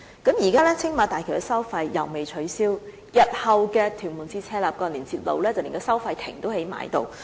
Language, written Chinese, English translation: Cantonese, 現時青馬大橋的收費既未取消，興建屯門至赤鱲角連接路的收費亭更已興建完成。, Now that not only the Bridge toll has not been scrapped the toll booths for TM - CLKL have also been completed